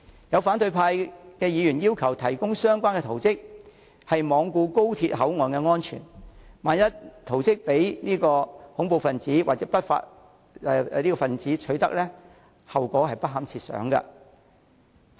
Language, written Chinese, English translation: Cantonese, 有反對派議員要求提供相關圖則，是罔顧高鐵口岸安全，萬一圖則被恐怖分子或不法分子取得，後果不堪設想。, Some opposition Members have requested the provision of relevant plans . They paid no heed to the security of XRL port areas . In case the plans fall into the hands of terrorists or law breakers the consequences will be too ghastly to contemplate